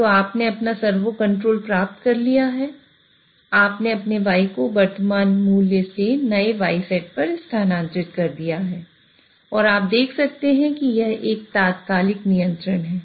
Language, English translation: Hindi, So you have achieved your servo control that you have moved your Y from current value to new Y set and you can see that it is an instantaneous control